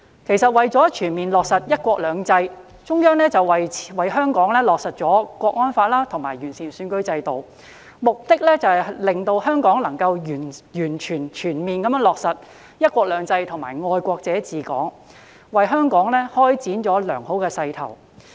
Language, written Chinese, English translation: Cantonese, 其實，中央為香港落實《香港國安法》及完善選舉制度，目的在於讓香港能全面落實"一國兩制"及"愛國者治港"，為香港開展了良好的勢頭。, Their attempts to seek mutual destruction with the entire city got out of hand then . In fact the Central Authorities move to implement the National Security Law for Hong Kong and improve Hong Kongs electoral system for the purpose of enabling Hong Kong to fully implement one country two systems and patriots administering Hong Kong has given Hong Kong a good momentum